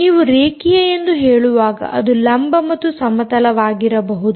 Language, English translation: Kannada, when you say linear, you can be vertical and horizontal